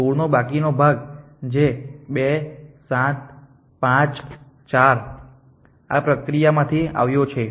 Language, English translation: Gujarati, The remaining part of the 2 which is 2 7 5 4 8 it is got from this process